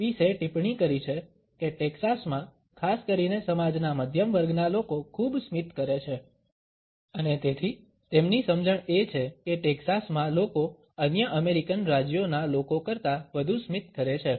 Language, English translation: Gujarati, Pease has commented that people in Texas particularly either middle class sections of the society pass on too much a smiles and therefore, his understanding is that in Texas people smile more than people of other American states